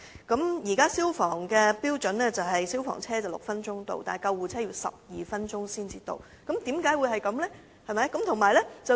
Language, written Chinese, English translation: Cantonese, 根據消防處現時的標準，消防車須於6分鐘到達現場，而救護車則要12分鐘才可到達，為何會如此？, According to the standards adopted by FSD fire engines have to arrive at the scene within 6 minutes while ambulances should arrive within 12 minutes of the emergency calls but why is that so?